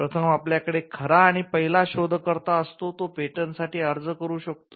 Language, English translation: Marathi, So, first you have the true and first inventor; can apply for a patent